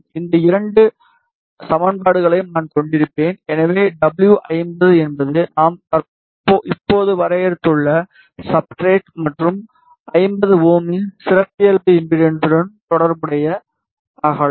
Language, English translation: Tamil, I will have these two equations, so w 50 is the width corresponding to the substrate that we just defined and the characteristic impedance of 50 ohm